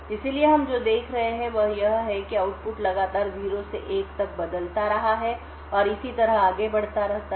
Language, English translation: Hindi, So, what we see is happening here is that this output continuously changes from 0 to 1 and so on